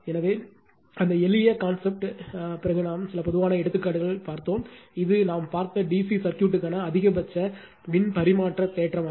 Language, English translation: Tamil, So, some typical examples we have seen after that very simple thing it is that is the maximum power transfer theorem for D C circuit we have seen